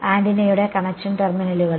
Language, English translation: Malayalam, At the connection terminals of antenna